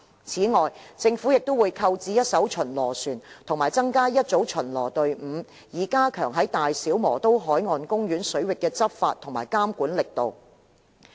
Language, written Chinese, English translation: Cantonese, 此外，政府亦會購置一艘巡邏船及增加一組巡邏隊伍，以加強在大小磨刀海岸公園水域的執法及監管力度。, Moreover the Government will procure a patrol vessel and set up an additional patrol team to strengthen enforcement actions and regulatory efforts within the BMP waters